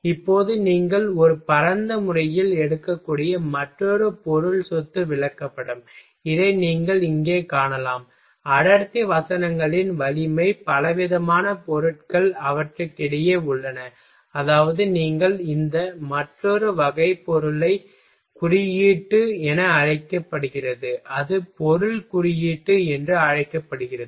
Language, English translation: Tamil, Now, another material property chart you can take in a broad manner, you can take in this you can see here for density verses strength are variety of materials lie between them, that is the you can a this another type it is called material index another way it is called material index